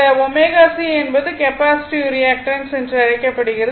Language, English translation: Tamil, Actually omega is C is called the capacitive reactance right